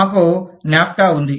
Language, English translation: Telugu, we have NAFTA